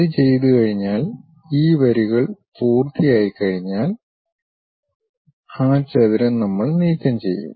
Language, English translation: Malayalam, Once it is done, we finish this lines remove that rectangle